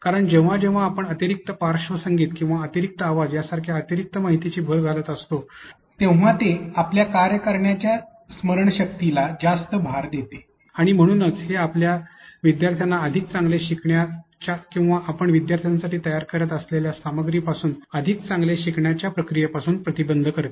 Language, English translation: Marathi, Because whenever you are adding extra information such as extra background music or extra sounds, it actually overloads your working memory and therefore, or it prevents you from the process of learning better for your students or from the process of learning better whenever you are creating the content for your students